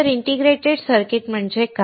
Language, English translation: Marathi, This is what is an integrated circuit